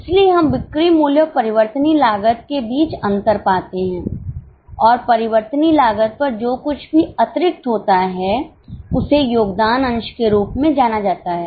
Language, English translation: Hindi, So, we find difference between sale price and variable cost and what extra you earn, extra over variable cost is known as a contribution margin